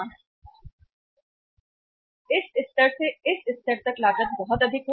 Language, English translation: Hindi, From this level to this level the cost is very high